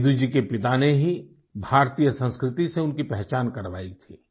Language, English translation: Hindi, Seduji's father had introduced him to Indian culture